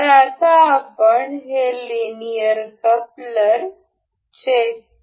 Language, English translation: Marathi, So, now, we will check this linear coupler